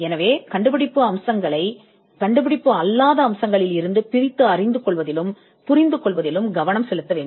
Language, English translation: Tamil, So, the focus has to be in understanding and isolating the inventive features from the non inventive features